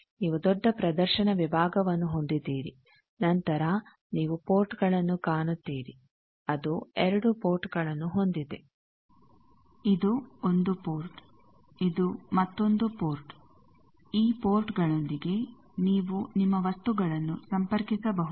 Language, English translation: Kannada, This is a modern network analyzer looks like this, you have a large display section, then you see the ports it has 2 ports; this is 1 port, this is another port, with these ports you can connect your things